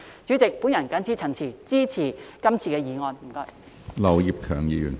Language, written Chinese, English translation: Cantonese, 主席，我謹此陳辭，支持這項議案，謝謝。, President with these remarks I support the motion . Thank you